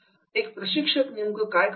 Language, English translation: Marathi, What a trainer does